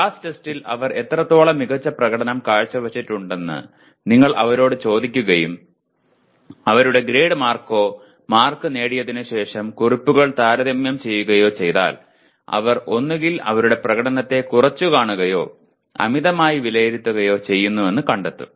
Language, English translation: Malayalam, If you ask them how well you have performed in the class test and compare notes after they have actually obtained their grade or marks it is found that they either underestimate or overestimate their performance and because of all these they make poor study decisions